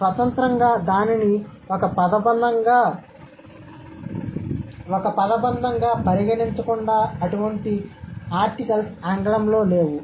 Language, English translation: Telugu, Independently, without considering it as a phrase, such kind of articles do not exist in English